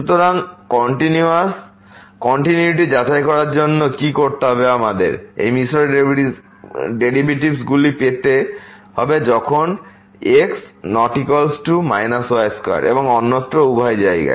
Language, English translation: Bengali, So, what to do to con to check the continuity we have to get the these mixed derivatives when is not equal to minus square and also elsewhere the both the places